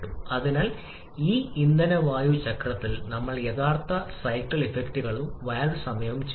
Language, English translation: Malayalam, So, on this fuel air cycle we shall be adding the actual cycle effects and also the valve timing diagram in the next lecture